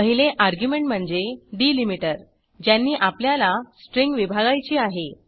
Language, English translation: Marathi, 1st argument is the delimiter by which the string needs to be split 2nd is the string which needs to be split